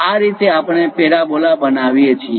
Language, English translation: Gujarati, This is the way we construct a parabola